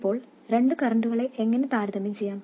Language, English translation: Malayalam, Now how do we compare two currents